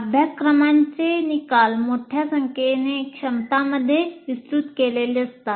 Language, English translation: Marathi, That means course outcomes are elaborated into a larger number of competencies